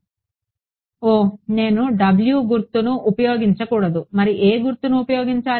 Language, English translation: Telugu, Oh, I should not use w what are the symbol will I use